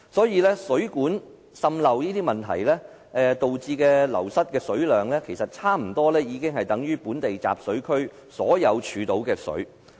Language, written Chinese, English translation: Cantonese, 因此，水管滲漏等問題導致流失的水量差不多等於本地集水區的全部儲水量。, Consequently the water loss resulting from such problems as leakage from mains almost equals to the entire water storage capacity in our catchments